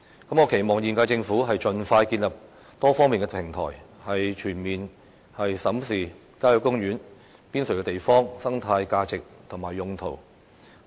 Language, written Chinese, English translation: Cantonese, 我期望現屆政府盡快建立多方面的平台，全面審視郊野公園邊陲地方的生態價值及用途。, I hope that the present Government can expeditiously set up a multifaceted platform for comprehensively reviewing the ecological values and uses of the lands in the peripheries of country parks